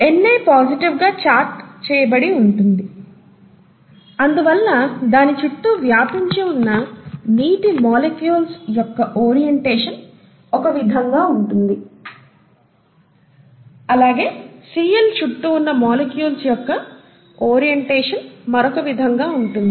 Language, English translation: Telugu, Na is positively charged and therefore a certain orientation happens to the molecules of water that surround it which is different from the orientation that happens to the molecules of Cl that surrounds it, okay